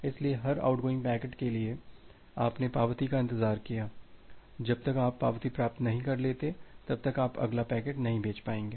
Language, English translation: Hindi, So, for every out going packet you have wait for the acknowledgement, unless you are receiving the acknowledgement, you will not be able to send the next packet